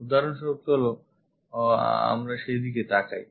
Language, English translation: Bengali, For example, here let us look at that